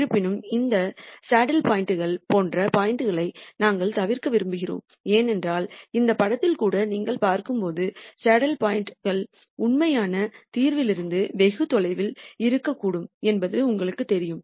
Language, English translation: Tamil, However, we want to avoid points like these saddle points and so on, because as you see even in this picture you know saddle points could be very far away from the actual solution